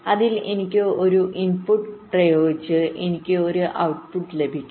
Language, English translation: Malayalam, so i apply an input, i get an output